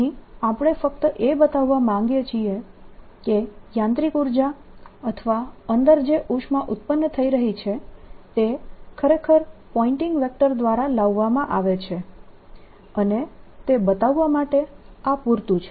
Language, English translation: Gujarati, we just want to show that the mechanical energy or the heat that is being produced inside is actually brought in by pointing vector, and this is sufficient to show that